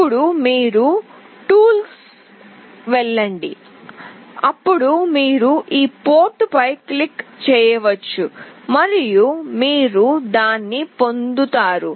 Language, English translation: Telugu, You go to tools and then you can click on this port and you will get this